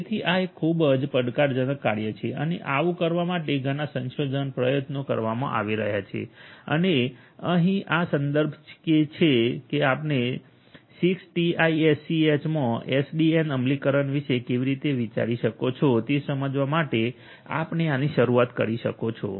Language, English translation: Gujarati, So, this is a highly challenging job and so many research efforts are being poured in order to do so, and here is this reference that you can look at to start with in order to understand how one could think of SDN implementation in 6TiSCH